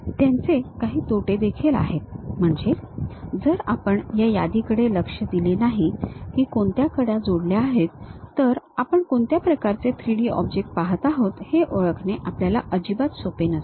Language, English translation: Marathi, They have certain disadvantages also, if we are not careful with this list which edges are connected with each other, it is not so, easy to identify what kind of 3D object we are looking at